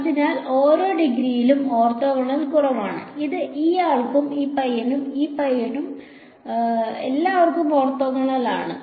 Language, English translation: Malayalam, Orthogonal to every degree less than it so, it is orthogonal to this guy, this guy, this guy all of these guys